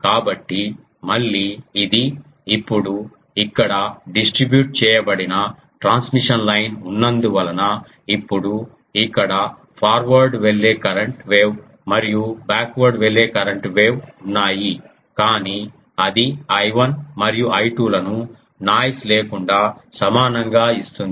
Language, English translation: Telugu, So, again this is now here due to since it is a distributed transmission line, here is a forward going current wave and backward going current wave, but that is giving that I 1 and I 2 same; obviously, without noise